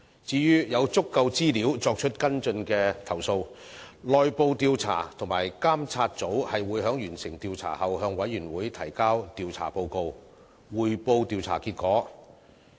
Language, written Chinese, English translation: Cantonese, 至於有足夠資料作出跟進的投訴，內部調查及監察組會在完成調查後向委員會提交調查報告，匯報調查結果。, As for complaints with sufficient information for further investigation IIMG will submit an investigation report to the Committee and report the findings after an investigation is completed